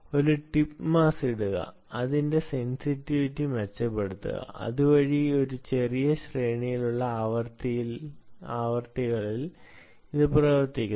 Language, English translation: Malayalam, put a tip mass, get it, get, improve its sensitivity so that it works over a given small range of frequencies